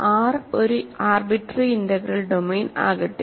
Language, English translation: Malayalam, So, let R be an arbitrary integral domain